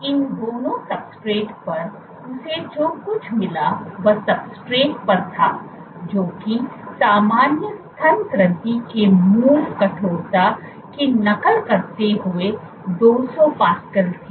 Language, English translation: Hindi, On both these substrates, what she found was on substrates which were soft order 200 pascals mimicking the native stiffness of normal mammary gland